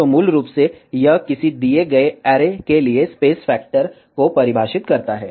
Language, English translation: Hindi, So, basically this defines the space factor, for a given array